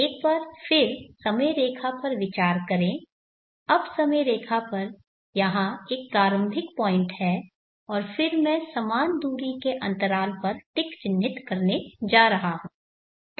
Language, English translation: Hindi, Consider the timeline once again, now timeline there is a start point and then I am going to mark ticks at equal spaced intervals